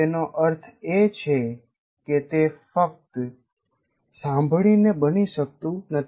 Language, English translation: Gujarati, That means it cannot occur by merely listening